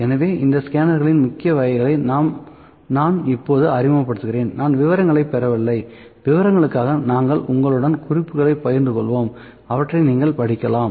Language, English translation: Tamil, So, these are the major kinds of scanners, I am just introducing, I am not getting into details, for details we will share you the notes and you can read them